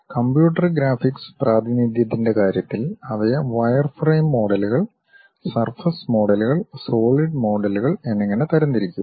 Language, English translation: Malayalam, In terms of computer graphics the representation, they will be categorized as wireframe models, surface models and solid models